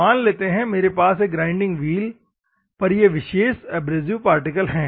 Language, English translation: Hindi, Assume that I have this particular abrasive particle in a grinding wheel